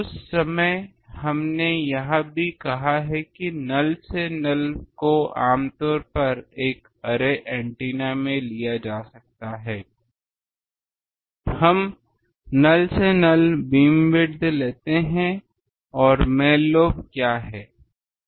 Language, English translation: Hindi, That time also we have said that null to null can be taken generally in an array antenna we take null to null beamwidth and what are the main lobes